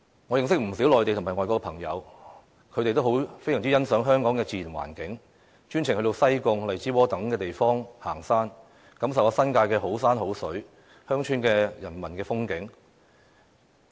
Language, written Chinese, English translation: Cantonese, 我認識不少內地及外國朋友，他們都非常欣賞香港的自然環境，專程到西貢、荔枝窩等地方行山，感受新界的好山好水和鄉村的人文風景。, Many friends of mine both from the Mainland and abroad admire deeply the natural environment of Hong Kong . They travelled a long way to go hiking in places like Sai Kung Lai Chi Wo etc . to enjoy the beauty of nature and get in touch with the cultural landscape of villages there in the New Territories